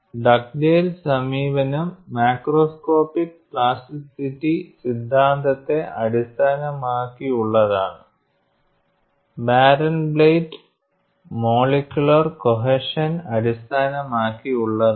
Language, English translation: Malayalam, Dugdale approach is based on macroscopic plasticity theory and Barenblatt is based on molecular cohesion